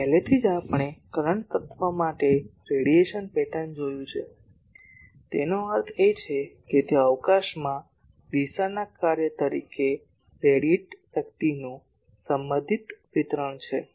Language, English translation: Gujarati, Already we have seen the radiation pattern for current element; that means, if I the it is the relative distribution of radiated power as a function of direction in space